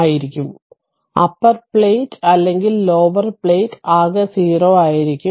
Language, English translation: Malayalam, Upper plate or lower plate, total will be 0 right